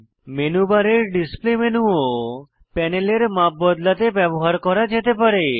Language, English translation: Bengali, Display menu in the menu bar can also be used to change the size of the panel